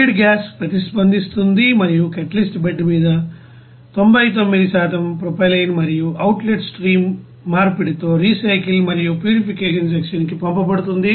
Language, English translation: Telugu, The feed gas reacts and pass over the catalyst bed with 99% conversion of propylene and outlet stream is sent to the recycle and purification section